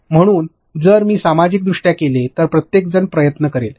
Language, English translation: Marathi, So, if I socially done everybody will try